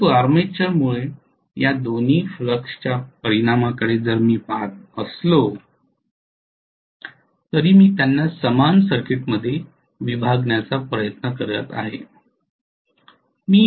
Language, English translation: Marathi, So although the armature is looking at the resultant of both the fluxes I am trying to bifurcate them in the equivalent circuit